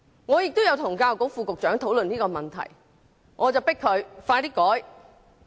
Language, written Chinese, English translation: Cantonese, 我亦曾與教育局副局長討論這個問題，促請他盡快作出改革。, I have once discussed the matter with the Under Secretary for Education and urged him to expeditiously revise HKPSG